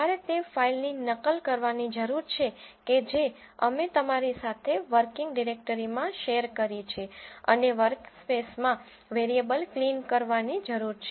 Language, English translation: Gujarati, You need to copy the file which we have shared with you into the working directory and clear the variables in the workspace